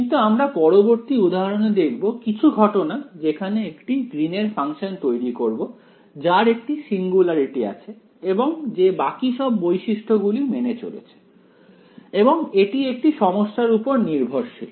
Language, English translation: Bengali, But, we will see in the next example that you will in some cases even construct a Green’s function which has a singularity in it and it obeys the rest of the properties also it will be problem dependent